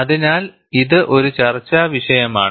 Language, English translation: Malayalam, So, it is a debatable point